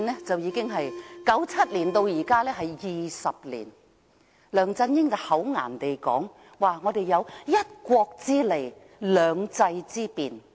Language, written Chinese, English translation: Cantonese, 自1997年至今已20年，梁振英厚顏地說我們有"一國"之利，"兩制"之便。, Now with the passage of two decades since 1997 LEUNG Chun - ying is saying shamelessly that we enjoy the convenience of one country two systems